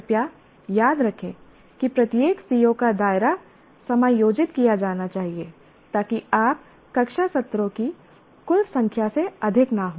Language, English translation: Hindi, Please remember that, that the scope of of each CBO should be adjusted so that finally you should not exceed the total number of classroom sessions